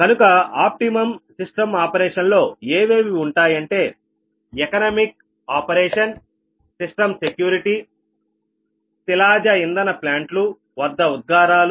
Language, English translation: Telugu, right, so the optimum operation of the system involves, like, consideration of economic operation, system security and emissions at certain fossil fuel plants